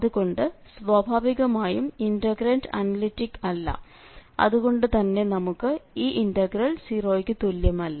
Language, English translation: Malayalam, So naturally this integrant is not analytic and we do not have this as equal to 0